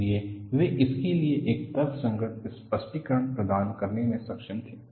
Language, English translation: Hindi, So, he was able to provide a rational explanation to this